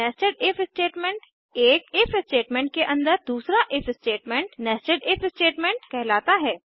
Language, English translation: Hindi, Nested if statements, An If statement within another if statement is called a nested if statement